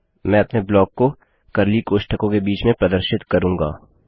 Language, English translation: Hindi, Ill represent my block between curly brackets